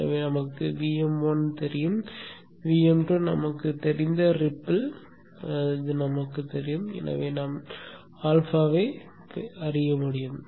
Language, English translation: Tamil, So we know VM1, we know the ripple, we know VM2 and therefore we should be able to know alpha